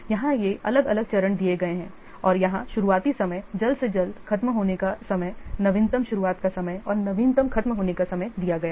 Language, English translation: Hindi, Here these are different stages are given and here the earliest start time, earliest finish time, lattice start time and lattice finish time is given